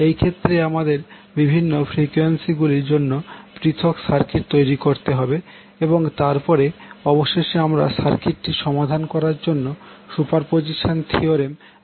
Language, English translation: Bengali, So, in this case we will also create the different circuits for different frequencies and then finally we will use the superposition theorem to solve the circuit